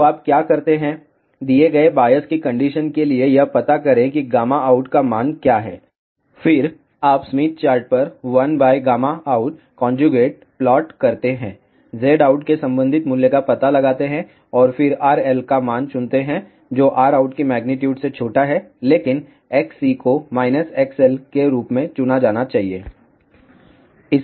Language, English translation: Hindi, So, what you do, for the given biasing condition find out what is the value of gamma out, then you plot 1 by gamma out conjugate on the Smith chart, find the corresponding value of Z out and then choose the value of R L which is smaller than the magnitude of R out, but X C should be chosen as minus X L